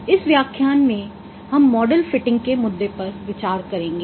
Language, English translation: Hindi, In this lecture we will be considering the issue on model fitting